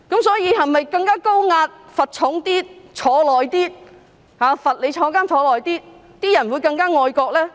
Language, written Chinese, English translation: Cantonese, 所以，是否更加高壓，罰則更重，監禁更長，人民便會更加愛國呢？, So is it that the people will become more patriotic when a more high - handed approach is adopted with heavier penalty and a longer jail term?